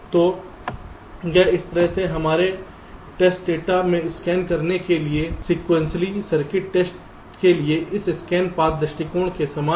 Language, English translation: Hindi, so this is exactly similar to this scan path approach for sequential circuit testing to scan in our test data like this